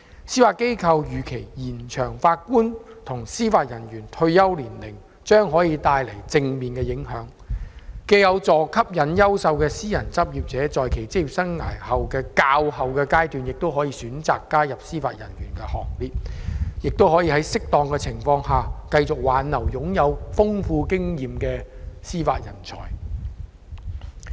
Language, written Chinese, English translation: Cantonese, 司法機構預期延長法官及司法人員退休年齡將帶來正面影響，既有助吸引優秀的私人執業者在其職業生涯較後階段加入司法人員行列，亦可以在適當情況下挽留擁有豐富經驗的司法人才。, The Judiciary envisages that extending the retirement age of JJOs would have a positive impact on attracting quality candidates who are in private practice to join the Bench at the later stage of their career life and also on retaining experienced judicial manpower where appropriate